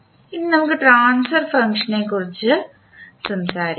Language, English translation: Malayalam, Now, let us talk about the Transfer Function